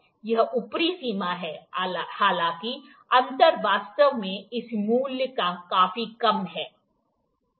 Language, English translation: Hindi, This is upper bound however, the gap actually is quite lower than this value